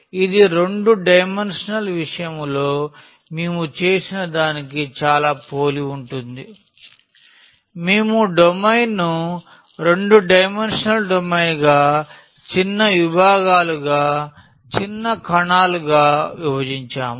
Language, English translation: Telugu, So, it is very similar to what we have done in case of 2 dimensional; we have divided the domain the 2 dimensional domain into a small sections, small cells